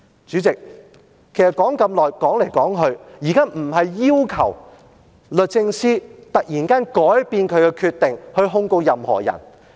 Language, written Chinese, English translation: Cantonese, 主席，說了這麼久，其實現在不是要求律政司突然改變決定，去控告任何人。, President having spoken for so long actually I am not asking the Secretary for Justice to suddenly change her decision and prosecute anyone